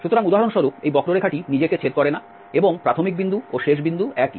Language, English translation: Bengali, So, for instance this curve does not intersect itself and initial point and the end points are the same